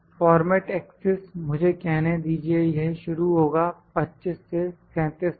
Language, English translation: Hindi, Format axis it starts from it is from let me say 25 to 37